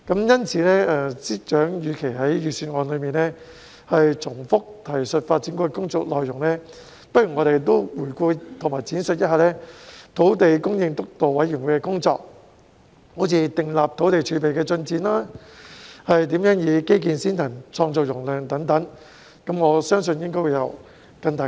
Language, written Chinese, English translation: Cantonese, "因此，司長與其在預算案中重複提述發展局的工作內容，不如回顧和闡述土地供應督導委員會的工作，例如訂立土地儲備的進展及如何"基建先行、創造容量"等，我相信意義會更大。, Therefore instead of repeatedly accounting for the work of the Development Bureau DEVB in the Budget FS should review and elaborate the work of the Steering Committee for instance stating the progress of building up land reserve and how he would adopt an infrastructure - led and capacity building mindset etc . I trust that this will be more meaningful